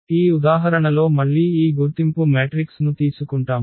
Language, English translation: Telugu, In this example again we will take this identity matrix